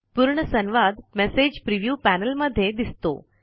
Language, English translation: Marathi, The entire conversation is visible in the message preview panel